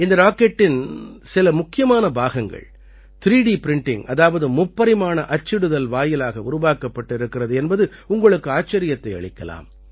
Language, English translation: Tamil, You will be surprised to know that some crucial parts of this rocket have been made through 3D Printing